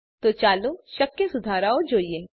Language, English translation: Gujarati, So let us look at the possible fixes.